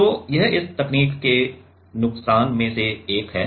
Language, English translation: Hindi, So, this is one of the one of the disadvantage of this technique